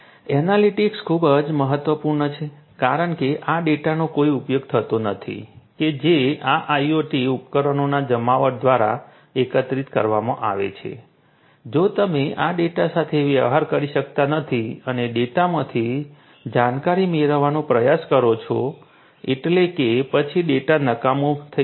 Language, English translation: Gujarati, there is no use of this data that are collected through the deployment of these IoT devices if you cannot deal with this data and try to get insight out of the data means then this data is going to be useless